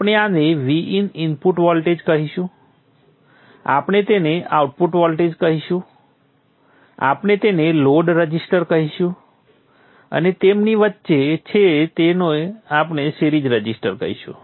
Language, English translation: Gujarati, We will call this one as V in, the input voltage, we'll call this as the output voltage, we will call this as the load resistor, and we will call this as the series resistance which is in between